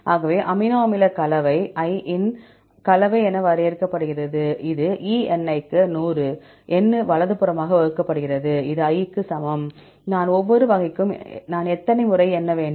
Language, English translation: Tamil, So, we can define amino acid composition as composition of I, this is equal to Σni into 100 divided by N right, this is equal to i; i means for each type of i you have to count how many times i